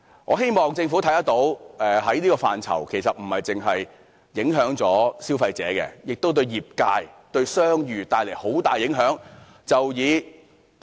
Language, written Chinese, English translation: Cantonese, 我希望政府看到，這個範疇不單影響消費者，對業界和商譽亦帶來很大影響。, I hope that Government can realize that this does not only affect consumers but the trade and their goodwill as well